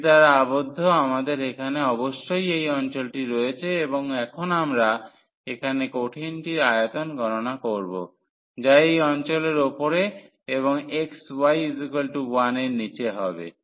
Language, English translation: Bengali, So, the enclosed by this we have precisely this region here and now we will compute the volume of the solid which is above this region here and below the bounded by the xy is equal to 1